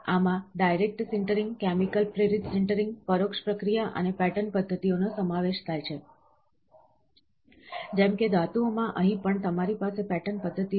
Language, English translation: Gujarati, These include direct sintering, chemically induced sintering, indirect processing and pattern methods, like in metals, here also you will have pattern methods